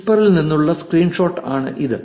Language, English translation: Malayalam, That is the screenshot from whisper